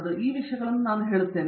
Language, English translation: Kannada, So, these things I would say